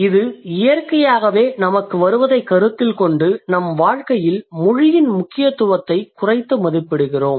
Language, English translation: Tamil, Considering it comes to us naturally we undermine the importance of language in our life, right